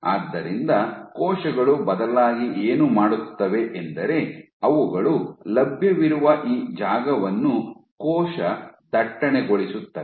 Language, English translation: Kannada, So, what the cells instead do is they populate this space available